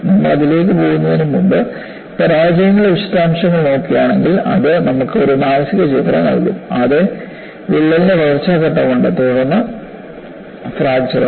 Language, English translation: Malayalam, And before we go into that, if you see postmortem of failures, that would give you a mental picture, yes, there is a growth phase of crack, followed by fracture